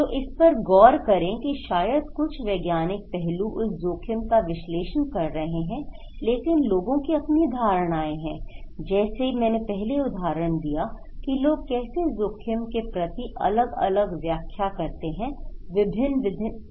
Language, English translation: Hindi, So, look into this, that first maybe some scientific aspect doing that risk analysis part but people have their own perceptions as I gave the example that how people interpret different risk in different ways